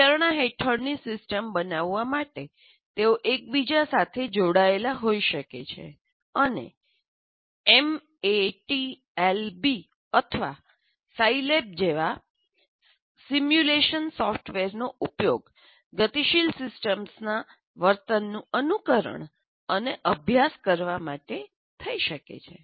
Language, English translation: Gujarati, And they can be interconnected to create the system under consideration and simulation software like MAT Lab or SI lab can be used to simulate and study the behavior of a dynamic system